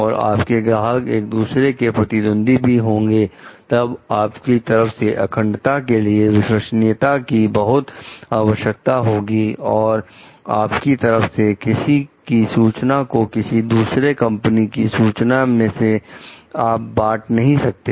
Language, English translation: Hindi, And as your clients maybe one competitor with the other, then it demands a lot of trustworthiness on your path integrity, on your part not to share ones information with the information of one company with the information with the other company